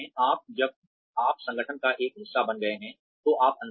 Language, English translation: Hindi, Now, that you have become a part of the organization, you are in